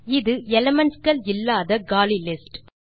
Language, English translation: Tamil, This is an empty list without any elements